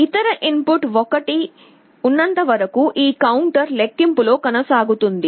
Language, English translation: Telugu, As long as the other input is 1, this counter will go on counting